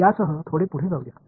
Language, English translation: Marathi, Let us move a little bit ahead with this